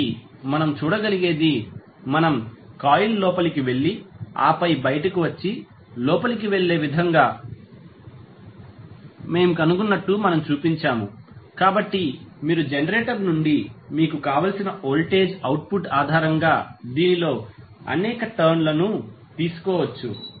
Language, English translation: Telugu, So, what we can see, we, we have wound as I shown that we have found in such a way that the coil goes inside and then comes out and goes inside and so, so, you can take multiple number of turns based on the voltage output which you want from the generator